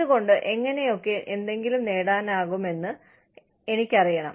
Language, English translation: Malayalam, I should know, why, and how, I can get something